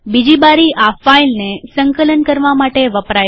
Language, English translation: Gujarati, The second window is used to compile this file